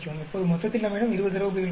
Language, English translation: Tamil, Now, in total we have 20 data points